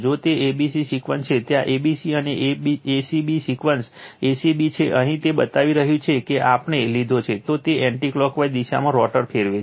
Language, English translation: Gujarati, If it is a b c sequence, where a b c and a c b sequence is a c b; here it is showing just here we have taken the , then it is anti clockwise direction rotor rotating